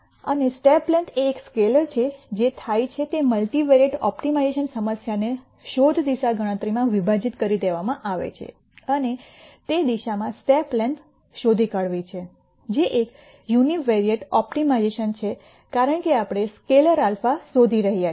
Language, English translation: Gujarati, And since step length is a scalar what happens is a multivariate optimization problem has been broken down into a search direction computation and nding the best step length in that direction which is a univariate optimization because we are looking for a scalar alpha